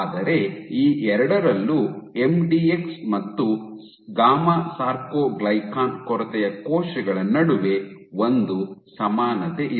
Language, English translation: Kannada, But there is a commonality between MDX and gamma soarcoglycan deficient cells across both of these